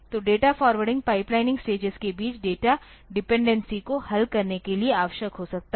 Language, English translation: Hindi, So, data forwarding may be necessary between the pipeline stages to resolve data dependencies